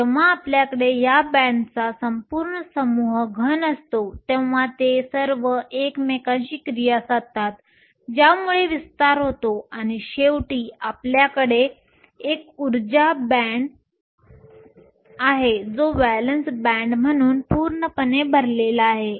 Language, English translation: Marathi, When we have a whole bunch of these bonds in a solid, they all interact with each other leading to broadening, and finally, we have an energy band which is the valence band as completely full